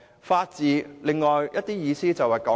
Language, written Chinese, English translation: Cantonese, 法治有另一層意思，就是公義。, There is another level of significance with the rule of law that is justice